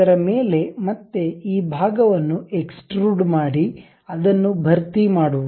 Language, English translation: Kannada, On that, again extrude the portion and fill it